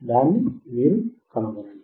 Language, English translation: Telugu, Find it out